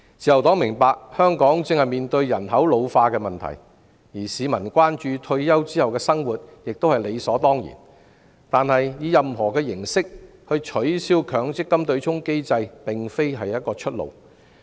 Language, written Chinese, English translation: Cantonese, 自由黨明白香港正面對人口老化的問題，而市民關注退休後的生活亦是理所當然，但以任何形式取消強積金對沖機制並非出路。, While the Liberal Party understands that Hong Kong now faces the problem of population ageing and people most certainly have concerns for their retirement life it is not a way out to abolish the MPF offsetting mechanism by any means